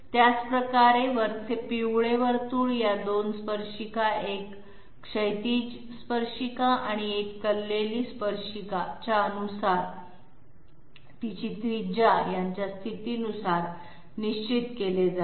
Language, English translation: Marathi, In the same way, the upper yellow circle is fixed by the position of these 2 tangents okay, one horizontal tangent and one inclined tangent and its radius